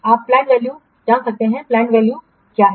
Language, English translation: Hindi, You can know the plant value, what is the plant value